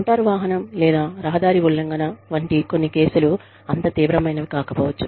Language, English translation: Telugu, Some cases like, motor vehicle or road violations, may not be, that serious